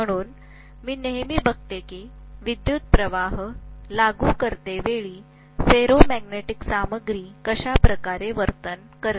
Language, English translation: Marathi, So we are always looking at how a ferromagnetic material behaves when I apply a current